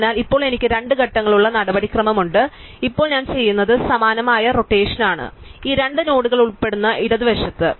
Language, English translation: Malayalam, So, now I have a two step procedure what I will do is, now I will do is similar rotation, but to the left involving these two nodes